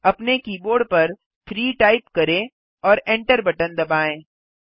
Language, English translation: Hindi, Type 3 on your keyboard and hit the enter key